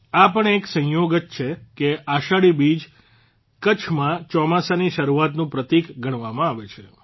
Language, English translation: Gujarati, It is also a coincidence that Ashadhi Beej is considered a symbol of the onset of rains in Kutch